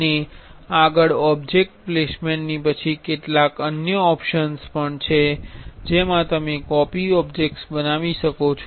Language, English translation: Gujarati, And next is after the object placement, there are some other option also you can make copy object